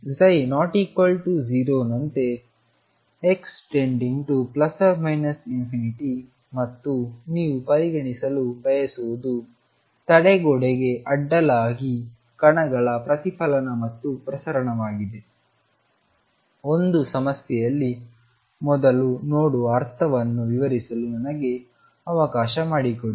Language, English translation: Kannada, So, psi is not equal to 0 as exposed to plus or minus infinity and what you want to consider is the reflection and transmission of particles across barrier let me explain what means see earlier in one problem